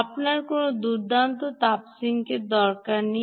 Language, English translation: Bengali, you dont need any great heat sink